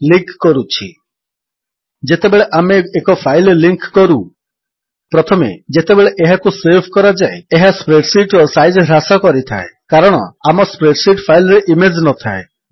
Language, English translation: Odia, Linking When we link a file: First, it reduces the size of the spreadsheet when it is saved Since our spreadsheet does not contain the image